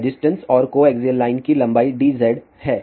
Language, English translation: Hindi, A resistance and the length of the coaxial line is dz